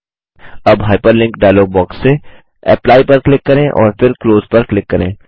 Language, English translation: Hindi, Now, from the Hyperlink dialog box, click on Apply and then click on Close